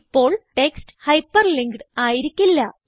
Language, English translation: Malayalam, The the text is no longer hyperlinked